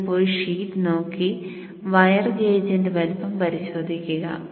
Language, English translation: Malayalam, So you will go and look into the data sheet and check for the wire gauge size